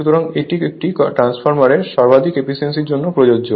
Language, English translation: Bengali, So, this is the all for maximum efficiency of a transformer